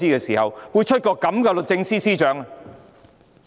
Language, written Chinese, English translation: Cantonese, 為何會有這樣的律政司司長？, How come we have such a Secretary for Justice?